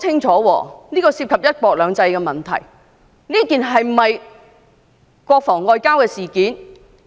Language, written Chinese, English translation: Cantonese, 這些涉及"一國兩制"的問題，當局必須交代清楚。, The authorities must give a clear account of these issues involving one country two systems